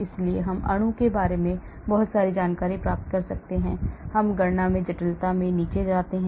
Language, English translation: Hindi, so, we can get lot of information about the molecule as we go down in the complexity in the computation